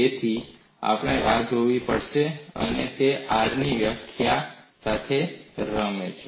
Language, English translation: Gujarati, So, we have to wait and see, and he plays with the definition of R